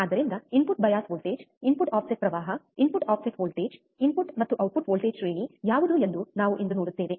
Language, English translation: Kannada, So, we will see today what are input bias voltage input offset current input offset voltage, input and output voltage range